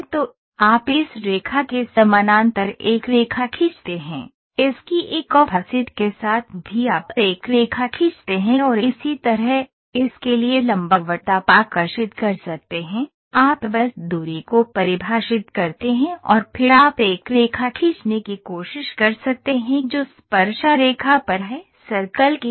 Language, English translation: Hindi, So, you draw a parallel to this line, with an offset of this this also you draw a line and same way, perpendicular to this you can draw, you just define the distance and then you can also try to draw a line which is at tangent to the circle